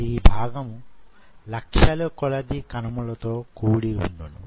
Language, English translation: Telugu, So, it consists of millions of cells